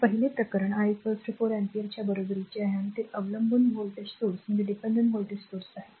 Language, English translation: Marathi, So, first case that I equal to 4 ampere right and it is a dependent voltage source